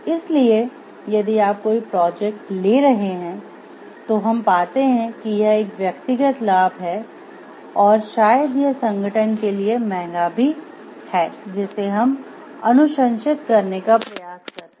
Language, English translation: Hindi, So, if you are taking up any project we find that this has my personal gain and maybe it is costly for the organization also we will try to recommend